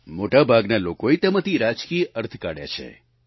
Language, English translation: Gujarati, Most people have derived political conclusions out of that